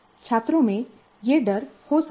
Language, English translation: Hindi, Students may have that fear